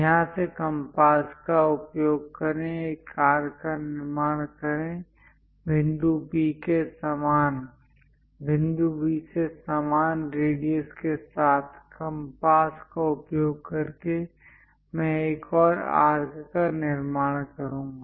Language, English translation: Hindi, Use compass from here, construct an arc; with the same radius from point B, also using compass, I will construct one more arc